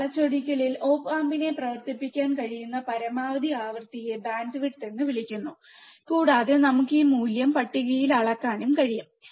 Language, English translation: Malayalam, At this distortion, right we can say that, the maximum frequency at which the op amp can be operated is called bandwidth, and we can also measure this value in table